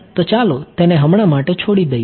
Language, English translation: Gujarati, Then let us leave that for now